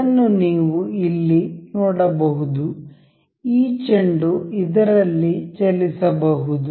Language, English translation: Kannada, You can see here, this ball can move into this